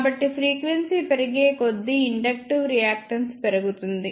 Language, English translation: Telugu, So, as frequency increases inductive reactance increases